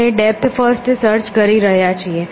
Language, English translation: Gujarati, So, we are doing depth first search